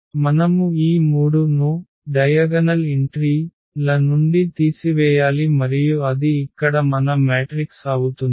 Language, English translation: Telugu, So, we have to subtract this 3 from the diagonal entries and that will be our matrix here